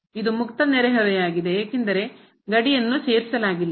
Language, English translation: Kannada, Note that this is a open neighborhood because the boundary is not included